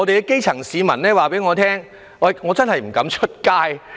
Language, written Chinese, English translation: Cantonese, 基層市民告訴我，他們不敢外出。, Grass - roots citizens told me they dared not step out of home